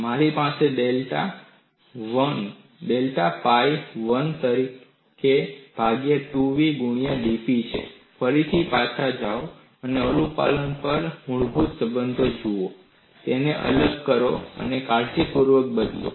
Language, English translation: Gujarati, I have delta pi as 1 by 2 v into dP; again, go back and look at the basic relationship on compliance, differentiate it, and substitute it carefully